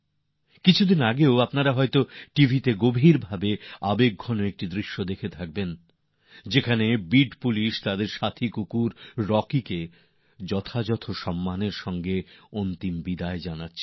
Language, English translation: Bengali, You might have seen a very moving scene on TV a few days ago, in which the Beed Police were giving their canine colleague Rocky a final farewell with all due respect